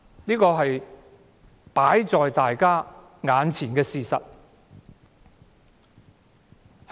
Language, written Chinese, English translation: Cantonese, 這是放在我們眼前的事實。, This is a fact laid before our very eyes